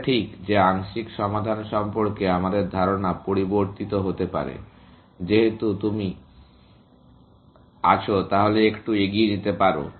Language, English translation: Bengali, It is just that our notion of partial solution may change, as you go along little bit